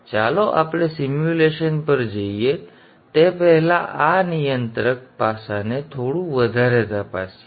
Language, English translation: Gujarati, Now let us just examine this controller aspect a bit more before we go to the simulation